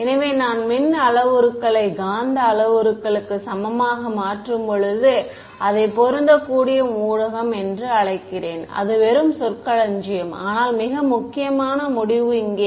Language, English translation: Tamil, So, when I make the electrical parameters equal to the magnetic parameters, I call it matched medium that is just terminology, but the more important conclusion comes over here ok